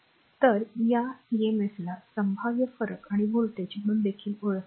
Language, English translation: Marathi, So, this emf is also known as the potential difference and voltage